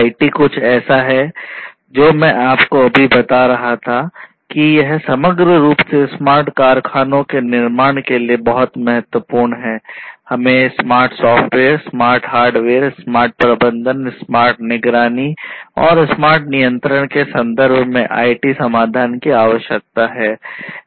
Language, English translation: Hindi, IT is something that I was also telling you, that it is very important in this overall business of or building smart factories, we need IT solutions in terms of smart software, smart hardware, smart management, smart monitoring, smart control